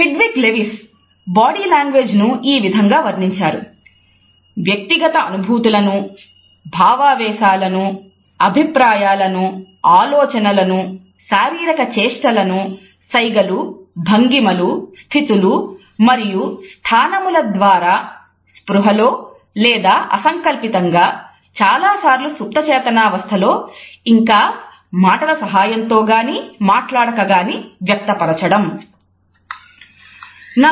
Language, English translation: Telugu, Hedwig Lewis has described body language as “the communication of personal feelings, emotions, attitudes and thoughts through body movements; gestures, postures, positions and distances either consciously or involuntarily, more often subconsciously and accompanied or unaccompanied by the spoken language”